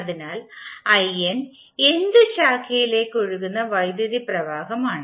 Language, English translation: Malayalam, So in is the current flowing in the nth branch